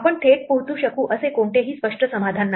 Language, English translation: Marathi, There is no clear solution that we can directly reach